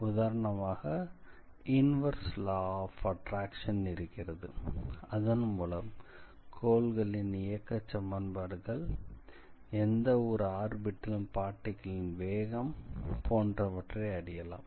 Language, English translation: Tamil, So, for example, here I have the inverse law of attraction, then you can also write equations such as a planetary motions, speed of a particle on any orbit, things like that